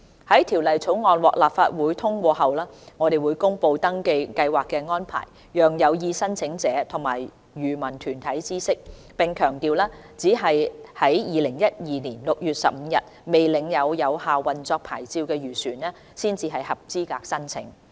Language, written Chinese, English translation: Cantonese, 在《條例草案》獲立法會通過後，我們會公布登記計劃的安排，讓有意申請者和漁民團體知悉，並強調只有在2012年6月15日未領有有效運作牌照的漁船才合資格申請。, We shall publicize the arrangement of the registration scheme to potential applicants and association of the fisheries sector with the emphasis that only those vessels that did not possess a valid operating licence on 15 June 2012 are eligible for registration after the Bill is passed